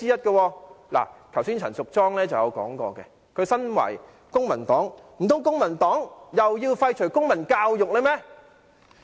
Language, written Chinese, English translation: Cantonese, 剛才陳淑莊議員亦提及，她身為公民黨議員，難道公民黨又要廢除公民教育嗎？, A moment ago Ms Tanya CHAN has mentioned a similar point . Being a member of the Civic Party does she mean that the Civic Party also wants to abolish the teaching of civic education?